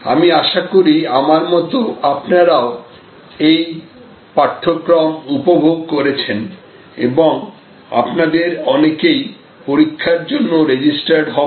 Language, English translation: Bengali, I hope you enjoyed this course as much as I enjoyed and hope to see many of you registered for the examination and enjoy good luck